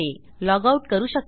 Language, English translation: Marathi, I can log out